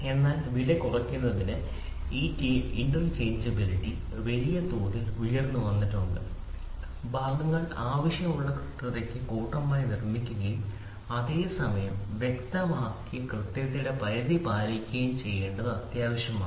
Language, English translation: Malayalam, So, in order to reduce the price this interchangeability has come up in a big way, it is essential that the parts are manufactured in bulk to the desired accuracy and at the same time adhere to the limits of accuracy specified